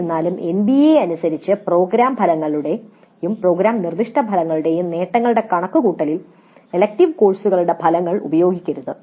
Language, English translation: Malayalam, However, the attainment of outcomes of the elective courses are not to be used in the computation of the attainments of program outcomes and program specific outcomes according to NBA